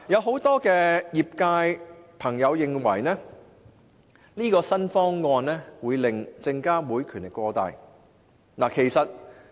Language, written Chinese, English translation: Cantonese, 很多業界人士認為，新方案會令證監會權力過大。, Many in the industry think that the new proposal will give too much power to SFC